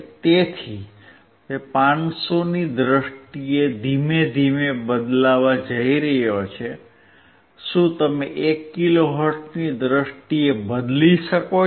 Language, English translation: Gujarati, So, he is going to change slowly in terms of 500 can you change in terms of 1 kilohertz